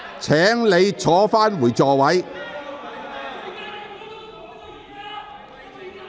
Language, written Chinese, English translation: Cantonese, 請你返回座位。, Please return to your seat